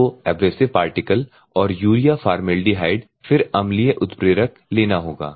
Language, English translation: Hindi, You have to take the abrasive particles and urea formaldehyde then acid catalyst